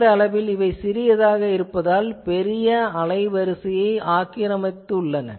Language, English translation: Tamil, So, obviously they are so short in time they occupy large bandwidth